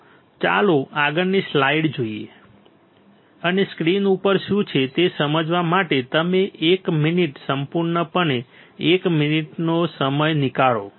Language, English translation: Gujarati, So, let us see the next slide and you take one minute, completely one minute to understand what is there on the screen all right